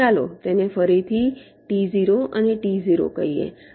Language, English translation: Gujarati, lets again call it t zero and t zero